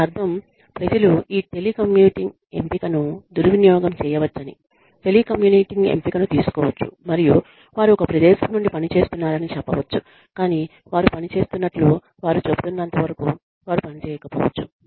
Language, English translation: Telugu, And, which means, people may take the telecommuting option, you know, people may abuse this telecommuting option, and say, they are working from a location, but, they may not be working, as much of they are saying, they are working